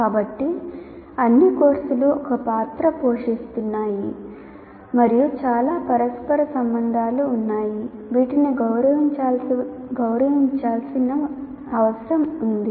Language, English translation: Telugu, So, all the courses are are playing a role and there are lots of interrelationships